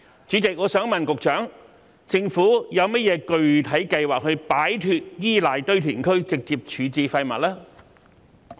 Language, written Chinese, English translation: Cantonese, 主席，我想問局長，政府有何具體計劃，以擺脫依賴堆填區直接處置廢物？, President may I ask the Secretary what specific plans the Government has in place to move away from reliance on landfills for direct waste disposal?